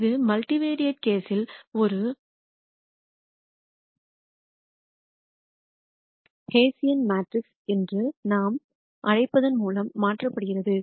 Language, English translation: Tamil, And this is replaced by what we call as a hessian matrix in the multivariate case